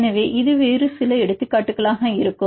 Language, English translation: Tamil, So, any other examples